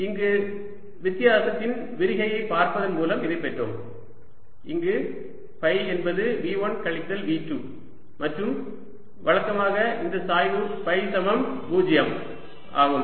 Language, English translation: Tamil, we arrives at this by looking at a divergence of the difference where phi is v one minus v two, and this we used to get that grad phi must be zero